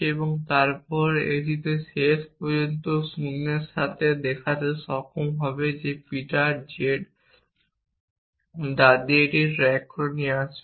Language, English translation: Bengali, And then it would eventually with naught be able to show that Peter is a grandmother of z it would back track